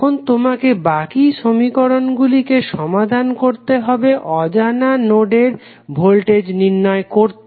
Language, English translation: Bengali, Now, you have to solve the resulting simultaneous equations to obtain the unknown node voltages